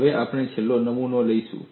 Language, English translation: Gujarati, Now, we will take up the last specimen